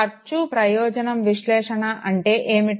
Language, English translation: Telugu, What would be the cost benefit analysis